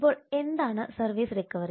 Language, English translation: Malayalam, now what is services recovery